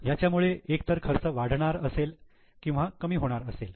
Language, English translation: Marathi, It can be either increasing the expense or it can be reducing the expense